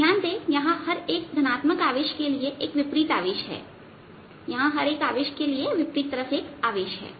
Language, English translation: Hindi, notice that for each positive charge here there is a charge on the opposite side